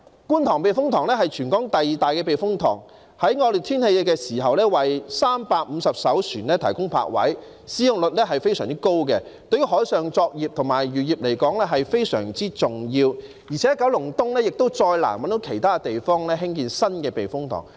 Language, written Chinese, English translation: Cantonese, 觀塘避風塘是全港第二大的避風塘，在惡劣天氣時為350艘船提供泊位，使用率非常高，對於海上作業和漁業非常重要，而且九龍東亦再難找到其他地方興建新的避風塘。, The Kwun Tong Typhoon Shelter is the second largest typhoon shelter in Hong Kong providing berthing space for 350 vessels during inclement weather . It has a very high usage rate and is very important to marine and fishing operations . What is more it is difficult to identify another place for developing a new typhoon shelter in Kowloon East